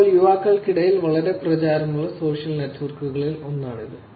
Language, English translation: Malayalam, It is one of the very, very popular social networks among the youngsters now